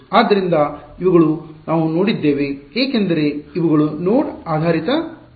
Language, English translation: Kannada, So, these are what we looked at so, for these are node based elements